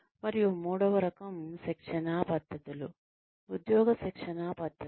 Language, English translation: Telugu, And, the third type of training methods are, on the job training methods